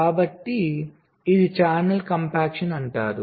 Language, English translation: Telugu, so this is something called channel compaction